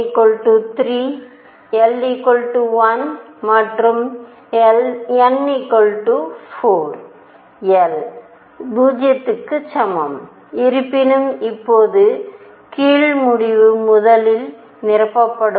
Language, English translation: Tamil, n equals 3, l equals 1 and n equals 4 l equals 0; however, now the lower end will be filled first